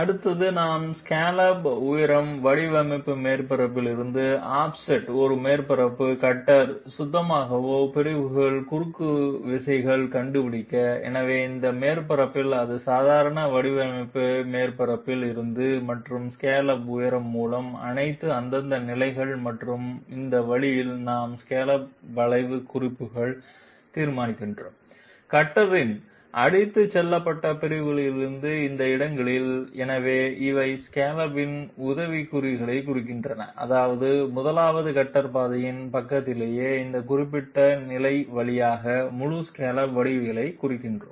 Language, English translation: Tamil, Next we find out the intersections of the swept sections of the cutter with a surface offset from the design surface by the scallop height, so this surface is away from the design surface normal to it and all those respective positions by the scallop height and this way we are determining the tips of the scallop curve at the at these locations on the swept sections of the cutter, so these mark the tips of the scallop I mean the whole scallop geometry all through these particular position by the side of the 1st cutter path